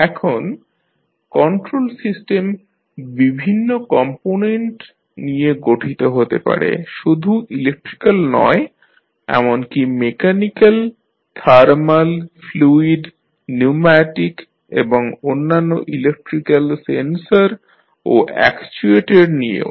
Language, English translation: Bengali, Now, the control system may be composed of various components, not only the electrical but also mechanical, thermal, fluid, pneumatic and other electrical sensors and actuators as well